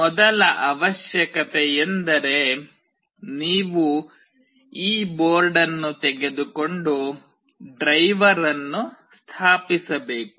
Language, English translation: Kannada, The first requirement is that you need to have this board in place and the driver installed